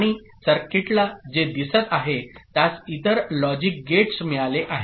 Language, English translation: Marathi, And what you see the circuit has got other logic gates